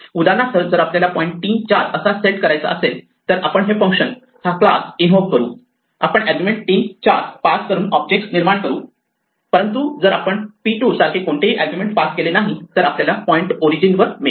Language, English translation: Marathi, For instance, if we want to point at a specific place 3 comma 4, we would invoke this function this class, we create an object by passing the argument 3 comma 4, but if we do not pass any argument like p 2 then we get a point at the origin